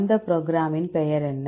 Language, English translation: Tamil, So, what is the name of the program